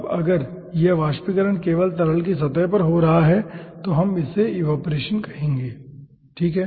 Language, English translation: Hindi, now, if this vaporization is occurring only at the surface of the liquid, we will be calling that as evaporation, okay